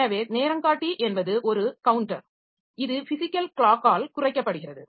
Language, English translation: Tamil, So, timer is a counter that is decremented by the physical clock